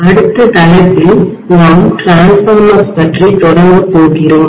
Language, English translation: Tamil, So we are going to start on the next topic which is Transformers, okay